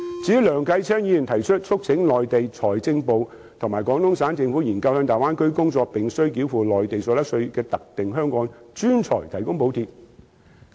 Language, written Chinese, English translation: Cantonese, 至於梁繼昌議員，他提出"促請內地財政部及廣東省政府硏究向大灣區工作並須繳付內地所得稅的特定香港專才提供補貼"。, As for Mr Kenneth LEUNG a proposal he puts forth is urging the Mainlands Ministry of Finance and the Guangdong Provincial Government to study the provision of subsidies to specific Hong Kong professionals working in the Bay Area who are required to pay the Mainlands income tax